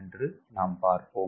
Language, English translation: Tamil, ok, so let us see